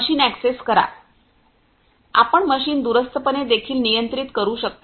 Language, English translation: Marathi, You can control the machine also remotely